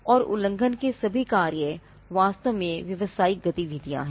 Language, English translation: Hindi, And all the acts of infringement are actually business activities